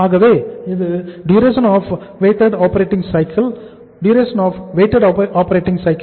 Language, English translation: Tamil, So it is Dwoc that is the duration of the weighted operating cycle